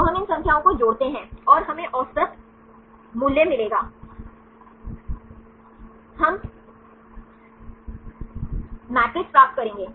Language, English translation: Hindi, So, we add up these numbers, and we will get the average value, we will get the matrix